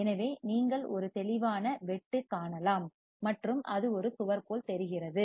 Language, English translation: Tamil, So, you can see a sharp cut and it looks like a wall